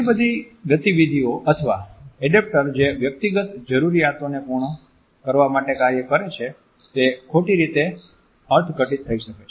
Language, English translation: Gujarati, Many movements or adaptors that function to satisfy personal needs maybe misinterpreted